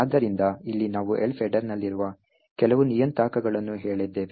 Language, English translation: Kannada, So, here we have actually said some of the few parameters present in the Elf header